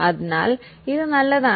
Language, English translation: Malayalam, So, it is good